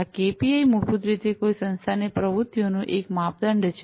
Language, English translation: Gujarati, These KPIs are basically a measure of the activities of an organization